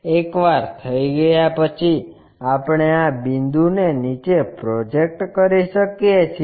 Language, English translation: Gujarati, Once is done, we can project this point all the way down project all the way down